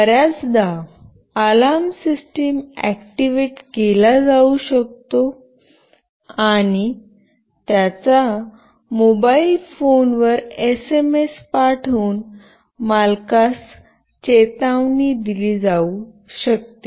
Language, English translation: Marathi, Often the alarm system can be activated and the owner can be warned by sending an SMS fon his or her mobile phone